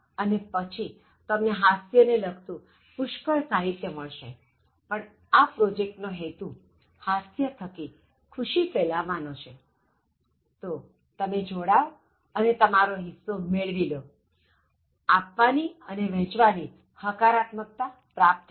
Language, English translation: Gujarati, And then you can get lot of materials related to humour but the purpose of this project is to spread this and then spread happiness through humour, so join that and then start gaining your share of humour and then gain positivity by gaining and sharing